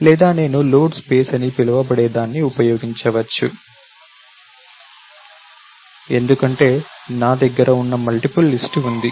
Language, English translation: Telugu, Or I might use something called a load space, for I have multiple list that are located